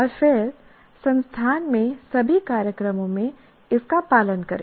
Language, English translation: Hindi, And then follow across all programs in the institute